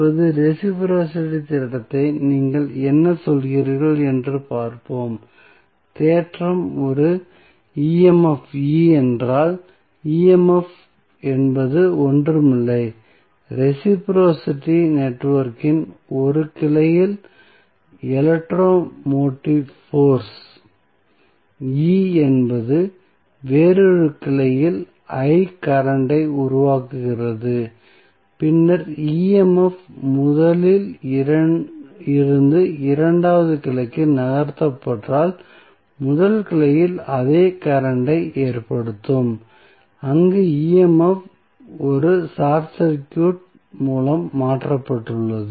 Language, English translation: Tamil, Now, let us see what do you mean by reciprocity theorem the theorem says that if an EMF E, EMF is nothing but electro motive force E in 1 branch of reciprocal network produces a current that is I in another branch, then, if the EMF is moved from first to the second branch, it will cause the same current in the first branch where EMF has been replaced by a short circuit